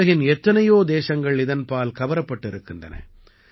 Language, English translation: Tamil, Many countries of the world are drawn towards it